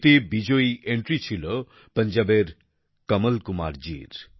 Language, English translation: Bengali, In this, the winning entry proved to be that of Kamal Kumar from Punjab